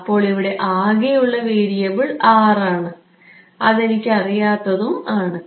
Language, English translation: Malayalam, So, this only variable here is R, which I do not know right